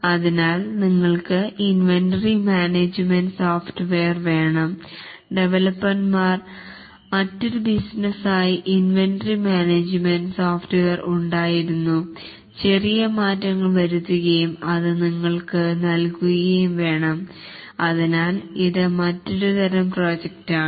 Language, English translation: Malayalam, So, you wanted an inventory management software and the developer had inventory management software for a different business and had to make small changes and then give it to you